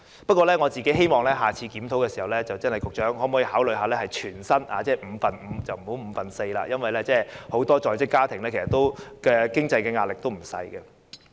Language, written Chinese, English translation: Cantonese, 不過，我希望在下次檢討時，局長會考慮把產假的薪酬改為全薪，而不要只是五分之四，因為很多在職家庭的經濟壓力實在不小。, However I hope that the Secretary will in the next review consider changing the maternity leave pay to full pay instead of just four - fifths because the financial pressure on many working families is not small indeed